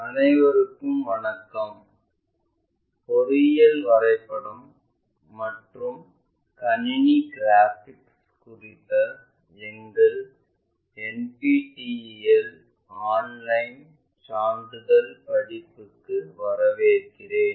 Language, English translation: Tamil, Hello all welcome to our NPTEL Online Certifications Courses on Engineering Drawing and Computer Graphics